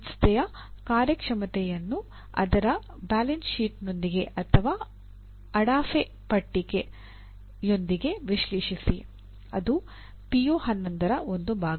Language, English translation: Kannada, Analyze the performance of an organization from its balance sheet